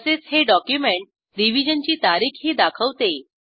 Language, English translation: Marathi, It also shows the Revision date of the document